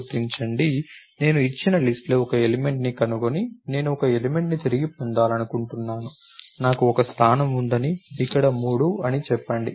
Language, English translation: Telugu, Locate, I want to find an element in the given list and retrieve I want to retrieve an element, let us say I have a position let us say 3 over here